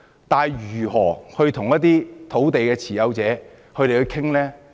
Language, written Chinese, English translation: Cantonese, 但是，如何與土地持有者商討呢？, However how should we negotiate with the landowners?